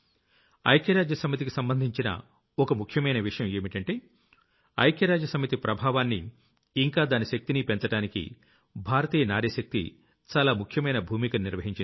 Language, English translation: Telugu, A unique feature related to the United Nations is that the woman power of India has played a large role in increasing the influence and strength of the United Nations